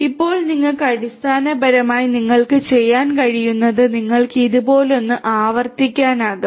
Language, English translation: Malayalam, Now you can basically what you can do you can have something like this repeated once again right